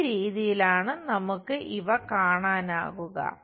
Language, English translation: Malayalam, This is the way we will see these things